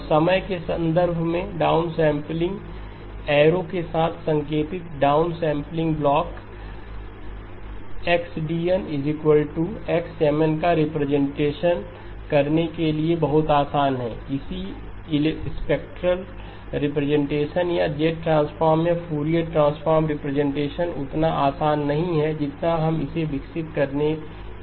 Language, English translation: Hindi, And the down sampling block indicated with the down arrow in terms of time is very easy to represent xD of n is x of M n, the corresponding spectral representation or the z transform or the Fourier transform representation not as easy we were in the process of developing it